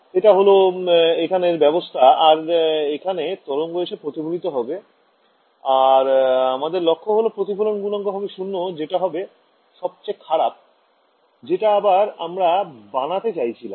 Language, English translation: Bengali, So, that is the set up and I have some wave falling like this getting reflected over here and my goal is that this reflection coefficient should be 0 in the worst case right that is what I want to design